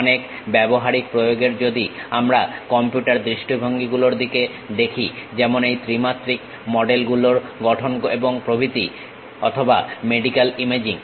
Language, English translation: Bengali, In many applications if we are looking at like computer visions like about constructing these 3 dimensional models and so on, or medical imaging